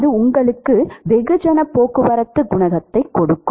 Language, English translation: Tamil, That will give you the mass transport coefficient